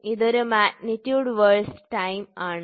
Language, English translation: Malayalam, So, it is magnitude versus time